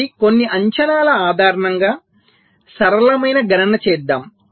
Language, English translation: Telugu, so let us make a simple calculation based on some assumptions